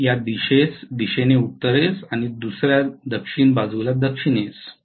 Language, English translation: Marathi, One is north on this side and south on the other side